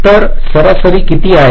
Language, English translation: Marathi, what is the average average